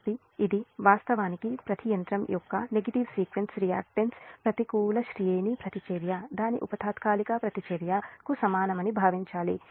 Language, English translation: Telugu, so this is actually some assumption that assume that the negative sequence reactance of each machine is equal to its sub transient reactance